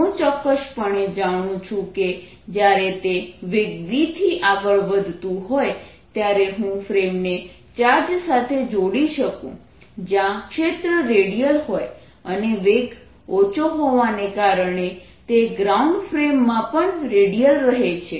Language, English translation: Gujarati, i cartinly no, because when it moving a velocity we have certainly know that i can attach a frame to the charge in which the field is radial and since velocity small, it remains redial in a ground frame